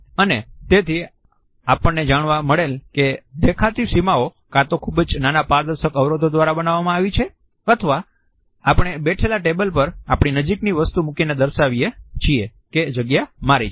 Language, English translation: Gujarati, And therefore, we find that the visual boundaries are created either by transparent barriers, which may be very small and tiny, or even by putting objects close to us on a table on which we are sitting to define this space which belongs to us